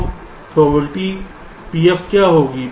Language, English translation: Hindi, so what will be pf here